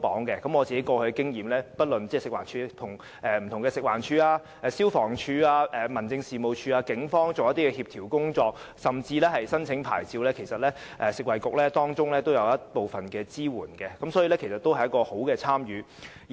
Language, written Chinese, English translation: Cantonese, 根據我過往的經驗，不論是與食物環境衞生署、消防處、民政事務總署或警方進行協調工作，甚至在申請牌照方面，食物及衞生局其實也有提供部分支援，亦有良好的參與。, According to my past experience the Food and Health Bureau has provided some support in coordinating various departments including the Food and Environmental Hygiene Department FEHD the Fire Services Department FSD the Home Affairs Department or the Police . The Bureau has also taken an active part in processing licence applications